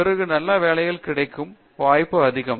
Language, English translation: Tamil, Then chances of getting good jobs are high